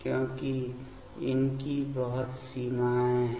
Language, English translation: Hindi, Because, these are having lot of limitations